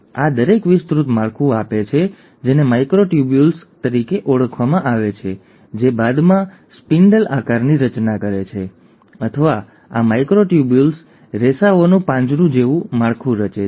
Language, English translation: Gujarati, So each of these gives an extended structure which is called as the microtubules which then forms a spindle shaped, or a cage like structure of these microtubule fibres